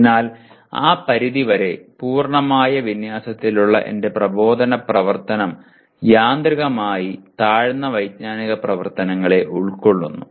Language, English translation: Malayalam, So to that extent my instructional activity which is in complete alignment automatically involves the lower cognitive level activities